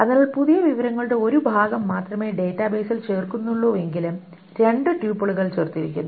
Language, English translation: Malayalam, So even though there is only one piece of new information that is inserted into the database, two tuples are added